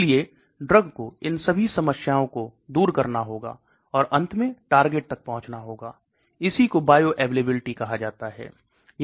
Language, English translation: Hindi, So it has to overcome that and finally has to reach the target site, so that is called oral bioavailability